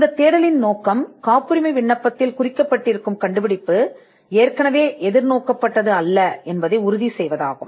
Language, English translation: Tamil, The objective of this search is to ensure that the invention as it is covered in a patent application has not been anticipated